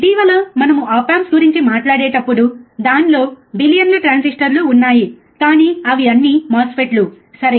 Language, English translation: Telugu, Now we also know that recently when we talk about op amps, it has billions of transistors, but all are MOSFETs, right